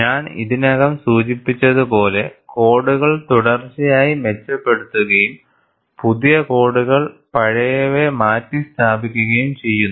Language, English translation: Malayalam, As I had already mentioned, the codes are continuously improved and new codes replace the old ones